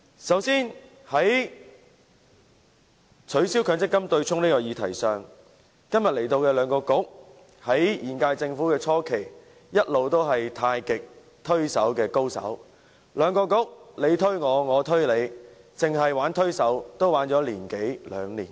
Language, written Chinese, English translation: Cantonese, 首先，在取消強積金對沖的議題上，今天前來本會的兩個政策局在現屆政府初期一直是太極推手的高手，互相推卸責任，持續了一年多兩年。, First of all on the abolition of the MPF offsetting arrangement the two Policy Bureaux which are represented in this Chamber today had been most adept at passing the buck to others since the beginning of the current - term Government and they had kept on doing so for a year or two